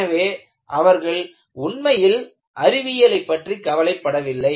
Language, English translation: Tamil, So, they were not really worried about Science